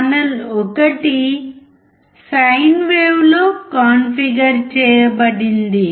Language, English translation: Telugu, Channel 1 is configured in sine wave